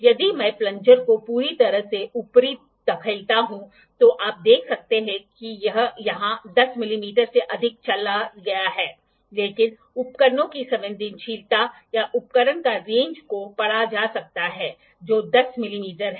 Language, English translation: Hindi, If I push the plunger completely above you can see it has though it has gone more than 10 mm here, but the sensitive of the sensitivity of the instrument or the range of instrument is that can be read is 10 mm